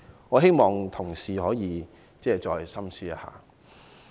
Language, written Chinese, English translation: Cantonese, 我希望同事深思一下。, I hope Members will give a careful thought to this